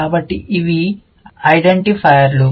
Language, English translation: Telugu, So, these are the identifiers